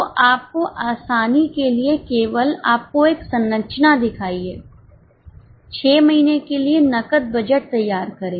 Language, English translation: Hindi, So, for your ease I have just shown you a structure, prepare a cash budget for six months